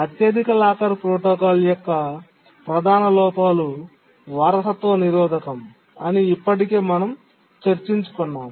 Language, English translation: Telugu, But as we have already discussed that the major shortcoming of the highest locker protocol is the inheritance blocking